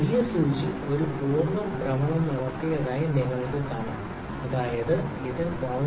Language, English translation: Malayalam, You can see the larger needle has made one full rotation; that means, it has moved 0